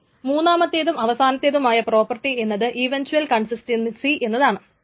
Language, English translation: Malayalam, And the third and the last property is eventual consistency